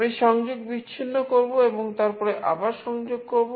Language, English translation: Bengali, I will disconnect and then again connect